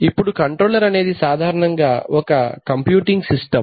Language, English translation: Telugu, Now the controller is actually a basically a computing system